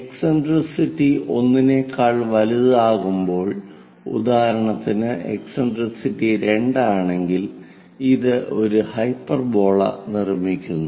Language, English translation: Malayalam, And when eccentricity is greater than 1 for example like 2 eccentricity here, it construct a hyperbola